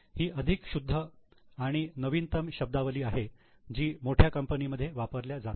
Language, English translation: Marathi, This is more refined and more latest terminology used in by the bigger companies